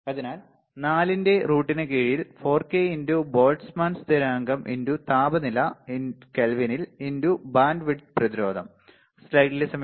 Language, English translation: Malayalam, So, under root of what 4, so 4 is there into k, k is Boltzmann constant into temperature in Kelvin into bandwidth into resistance right